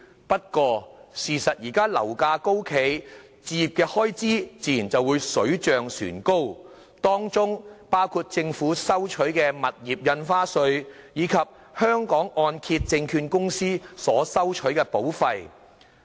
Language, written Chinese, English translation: Cantonese, 不過，由於現時樓價高企，置業的開支亦自然水漲船高，當中包括政府收取的物業印花稅，以及香港按揭證券有限公司所收取的保費。, Nevertheless with the high property prices the costs of buying a home including stamp duty and premiums collected by the Hong Kong Mortgage Corporation Limited have also increased correspondingly . These two expenses should not be overlooked